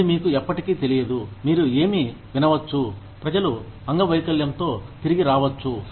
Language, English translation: Telugu, That, you never know, what you might hear, people may come back maimed